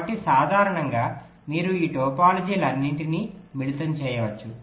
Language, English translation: Telugu, so in general you can combine all these topologies together, like you can have the